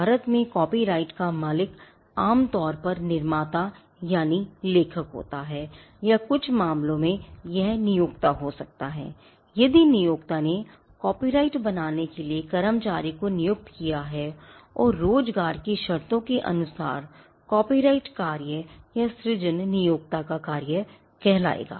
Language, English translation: Hindi, In India the owner of the copyright is usually the creator that is the author or in some cases it could be the employer, if the employer as employed is employees to create the copyright and as a part of the terms of employment the copyrighted work would vest with the employer the creation would vest with the employer